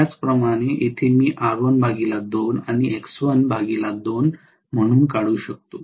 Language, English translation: Marathi, I can very well draw this also as R1 and X1